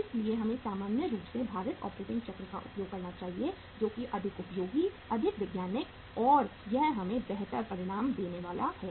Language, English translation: Hindi, So we should normally use the weighted operating cycle which is more useful, more scientific, and it is going to give us the better results